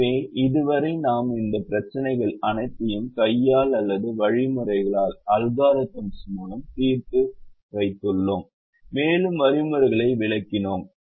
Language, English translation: Tamil, so far we have solved all these problems by hand or by algorithms and explained we have explained the algorithms